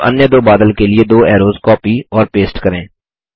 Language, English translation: Hindi, Now lets copy and paste two arrows to the other cloud